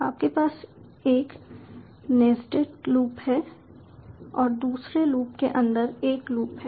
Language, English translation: Hindi, you have a nested loop, that is a loop inside another loop